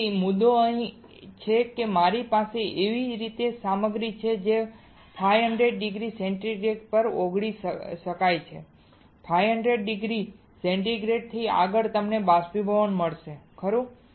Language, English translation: Gujarati, So, the point is here I have a material which can be melted at 500 degree centigrade and beyond 500 degree centigrade you will get evaporation right